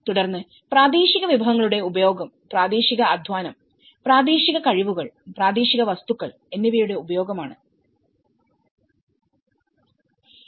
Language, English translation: Malayalam, Then, use of local resources; using the local labour, local skills, local materials